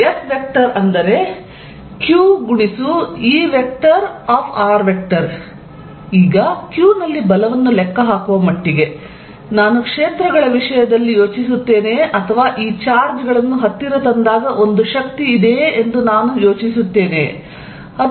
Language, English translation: Kannada, Now, as far as calculating force on q is concerned, whether I think in terms of fields or I think in terms of when this charges are brought to whether there is a force, it does not make a difference